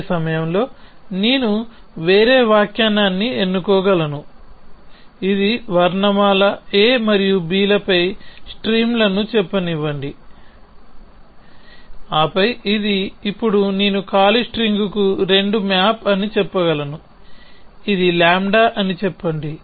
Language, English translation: Telugu, As the same time I can choose a different interpretation which is let us say streams over alphabet a and b and then I can say that this now this is i 2 maps to empty string, let us say lambda